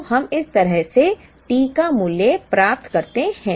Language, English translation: Hindi, So, we get the value of T this way